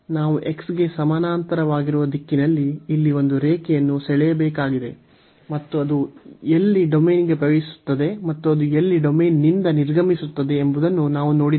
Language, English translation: Kannada, So, we need to draw a line here in the direction of this a parallel to x, and we was see there where it enters the domain and where it exit the domain